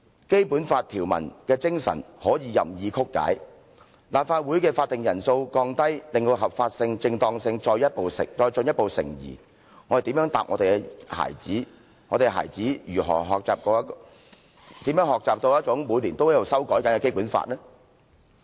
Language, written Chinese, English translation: Cantonese, 《基本法》條文的精神可以任意曲解，把全體委員會會議的法定人數降低，令到其合法性、正當性再進一步成疑，我們如何回答我們的孩子，我們的孩子如何學習每年都在修改的《基本法》呢？, If the spirit of Basic Law provisions can be distorted wantonly to reduce the quorum for the proceedings of the committee of the whole Council thus plunging its legality and propriety into further doubt how can we give a satisfactory answer to our children? . How should our children learn more about the Basic Law if it is amended every year?